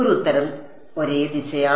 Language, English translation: Malayalam, One answer is same direction